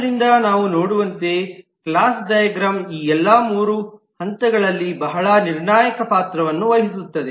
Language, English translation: Kannada, So the class diagram, as we see, play a role in all these 3 phases, very critical